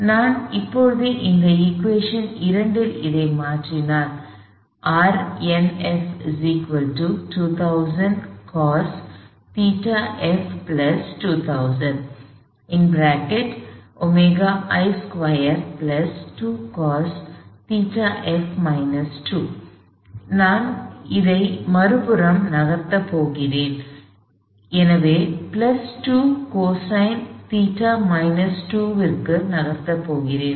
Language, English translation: Tamil, If I now substitute this in this equation 2, R n equals 2000 cosine theta plus 2000 times omega I squared; I am going to move this over to the other side plus 2 cosine theta minus 2